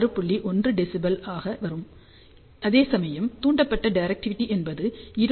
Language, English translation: Tamil, 1 dBi, whereas stimulated directivity is 25